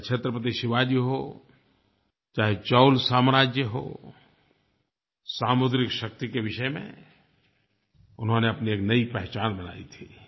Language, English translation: Hindi, Be it Chatrapati Shivaji, Chola Dynasty which made a new identity with Naval power